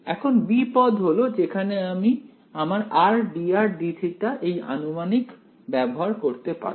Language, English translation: Bengali, Now term b is where we can use our this r d r d theta approximation